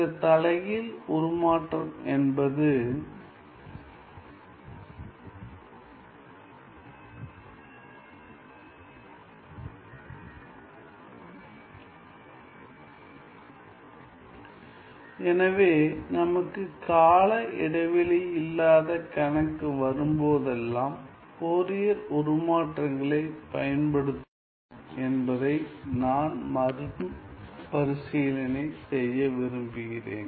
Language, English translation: Tamil, So, I just want to recap that whenever we have a problem which is non periodic, we are going to use Fourier transforms